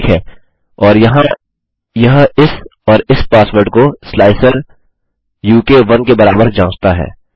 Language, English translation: Hindi, Okay and this is checking this and this password here is equal to slicer u k1